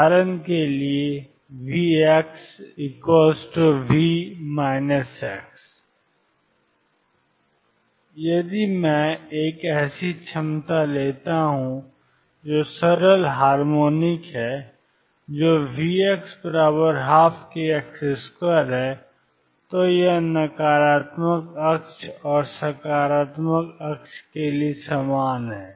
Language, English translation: Hindi, So, V x is V minus x for example, if I take a potential which is simple harmonic that is V x equals 1 half k x square its same for the negative axis and the positive axis